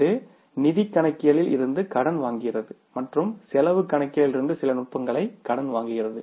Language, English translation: Tamil, It borrows some of the information or some of the techniques from financial accounting and it borrows some of the techniques from the cost accounting